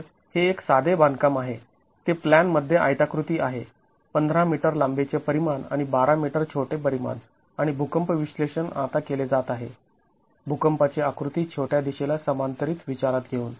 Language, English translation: Marathi, It is rectangular in plan, 15 meters, the longer dimension and 12 meters is the shorter dimension and the earthquake analysis is now being performed considering earthquake action parallel to the shorter direction